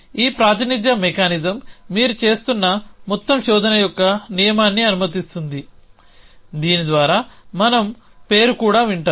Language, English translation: Telugu, So, this representation mechanism allows a rule of overall search you have doing which was we listen even name to it